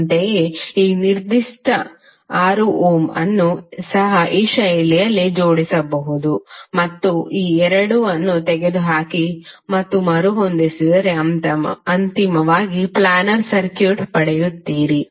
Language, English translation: Kannada, Similarly this particular 6 ohm is also can be arranged in this fashion and if you remove this 2 and rearrange you will eventually get a planar circuit